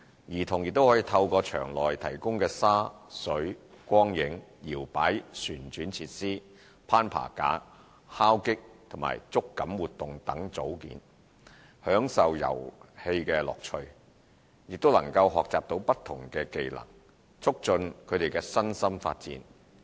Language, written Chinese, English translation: Cantonese, 兒童可透過場內提供的沙、水、光影、搖擺旋轉設施、攀爬架、敲擊及觸感活動組件等，享受遊戲樂趣，亦能學習到不同的技能，促進他們的身心發展。, Through sand water light and shadow play equipment that sways and spins climbing frames and movable parts for knocking and touching etc children can enjoy the fun while acquiring different skills which will enhance their physical and psychological development